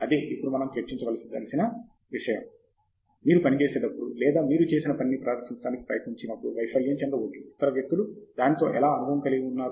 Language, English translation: Telugu, That is something that we would like to now discuss, which is dealing with failure both when you do the work, when you try to present the work, and may be, how other people have had experience with it